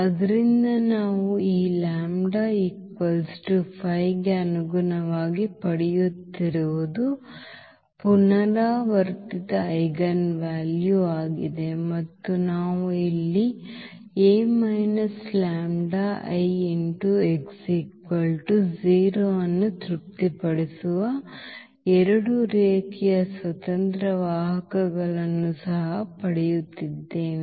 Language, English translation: Kannada, So, what we are getting corresponding to this lambda is equal to 5 which was the repeated eigenvalue and we are also getting here the 2 linearly independent vectors which satisfy this A minus lambda I x is equal to 0